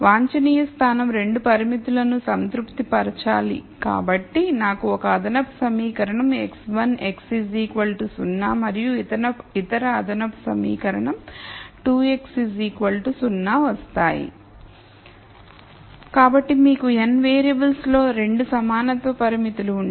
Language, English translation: Telugu, So, since the optimum point has to satisfy both the constraints, I get one extra equation x 1 x equals 0 and the other extra equation is 2 x equal to 0